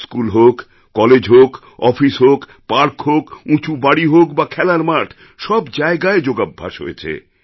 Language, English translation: Bengali, Schools, colleges, offices, parks, skyscrapers, playgrounds came alive as yoga venues